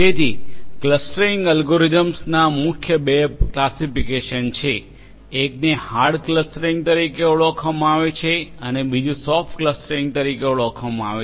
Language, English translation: Gujarati, So, there are two main classifications of clustering algorithms one is known as hard clustering and the other one is known as soft clustering